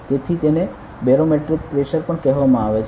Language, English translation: Gujarati, So, this is also called barometric pressure ok